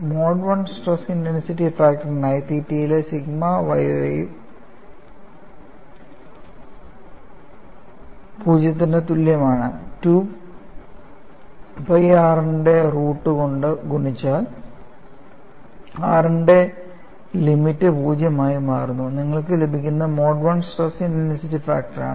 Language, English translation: Malayalam, ; Ffor the Mode 1 stress intensity factor, you take the expression for sigma yy at theta equal to 0, 3 pre multiplied by root of 2 pi r,; and in the limit r tends to 0;, whatever you get, is the Mode 1 stress intensity factor